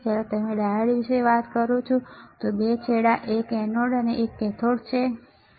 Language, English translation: Gujarati, When you talk about diode two ends one is anode one is cathode, all right